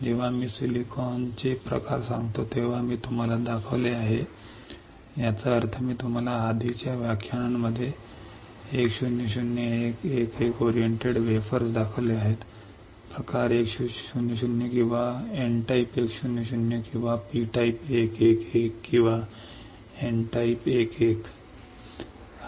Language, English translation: Marathi, When I say types of silicon I have shown you; that means, that I have shown you 1 0 0 1 1 1 oriented wafers right in the previous lectures 1 0 0 1 1 1 oriented orientation of the crystal right and then it was P and N, P and N we can identify with this P type 1 0 0 or N type 1 0 0 or P type 1 1 1 or N type 1 1